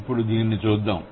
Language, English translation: Telugu, So, let's see how it works